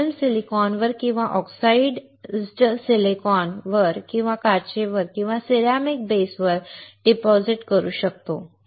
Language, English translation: Marathi, We can deposit the film on silicon or on oxidized silicon or on glass or on ceramic base